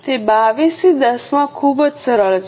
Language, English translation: Gujarati, It is very simple 22 into 10